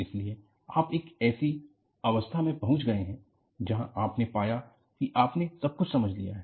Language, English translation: Hindi, So, you reach a stage, where you find that, you have understood everything